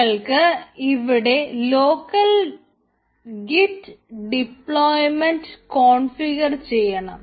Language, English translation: Malayalam, now we need to configure a configure local git deployment